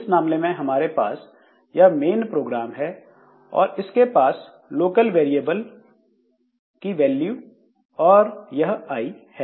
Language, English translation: Hindi, So, in this case you see that this main program it has got this local variables values and I